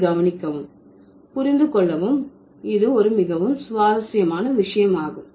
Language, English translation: Tamil, It's a very interesting thing to notice and it's a very interesting thing to understand also